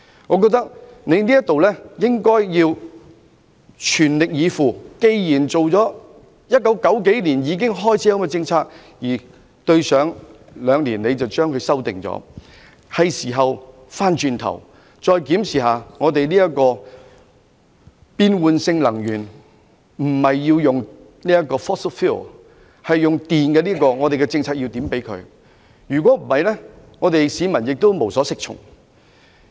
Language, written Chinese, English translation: Cantonese, 我認為政府應該全力以赴，既然有關政策在1990年代已經開始實施，只是在兩年前作了修改，所以現在是時候重新檢視能源政策，放棄使用 fossil fuel 並改用電力，研究如何配合有關的政策，否則市民會無所適從。, In my opinion the Government should make an all - out effort . Given that the relevant policy was implemented in the 1990s and the only revision was made two years ago it is now time to review the energy policy abandon the use of fossil fuel and switch to electricity and study how to tie in with the relevant policy otherwise the public will be at a loss as to what to do